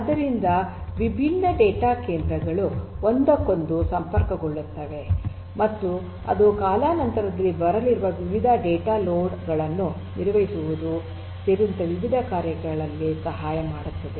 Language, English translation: Kannada, So, different data centres will be connected to one another and that will help in different ways including handling the varying data loads that are going to come over time